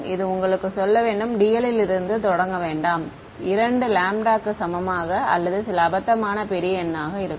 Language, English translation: Tamil, This is just to tell you to not start from d l equal to two lambda or some ridiculously large number